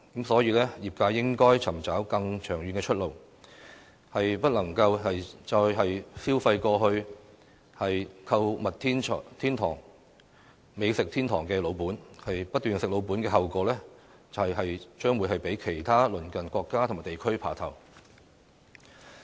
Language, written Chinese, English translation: Cantonese, 所以，業界應該尋找更長遠的出路，不能再消費過去"購物天堂"、"美食天堂"的老本，不斷"食老本"的後果，就是將會被其他鄰近國家和地區"爬頭"。, In the light of this the trade needs to look for a longer - term way out as it can no longer rely on its past advantages of the shopping paradise and the gourmets paradise otherwise Hong Kong will be taken over by its neighbouring countries and regions